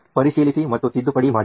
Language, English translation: Kannada, Verification and correction